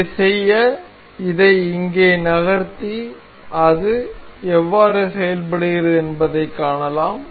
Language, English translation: Tamil, To do this, we can move this here and we can see how it works